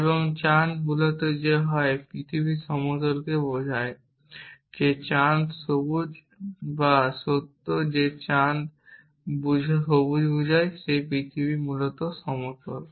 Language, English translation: Bengali, And the moon is green that either the earth is flat implies that the moon is green or the fact that moon is green implies that the earth is flat essentially